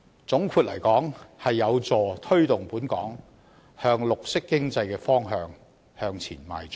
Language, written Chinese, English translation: Cantonese, 總括而言，這將有助推動本港朝綠色經濟的方向邁進。, In short this will be helpful to Hong Kongs development in the direction of green economy